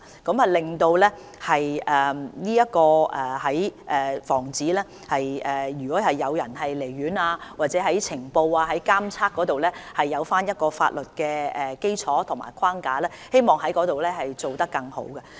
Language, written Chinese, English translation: Cantonese, 此舉可為防止患者離院，以及在呈報、監測方面，提供一個法律基礎及框架，我們希望在這方面做得更好。, This will provide a legal basis and framework for preventing patients from leaving hospitals and requiring notification and surveillance . We hope to do better in this aspect